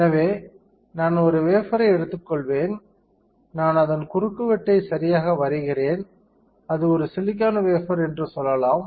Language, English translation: Tamil, So, I will take a wafer, I am drawing a cross section of it right, let us say it is a silicon wafer then I clean the wafer